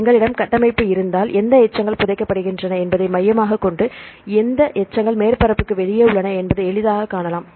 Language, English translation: Tamil, So, if we have the structure, we can easily see which residues are buried that is inside the core and which residues are outside the surface